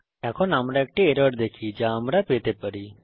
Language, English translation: Bengali, Now let us see an error which we can come across